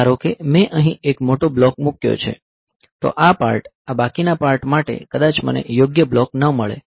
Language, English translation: Gujarati, Suppose I put a big block here, then this part, this remaining part I may not find a suitable block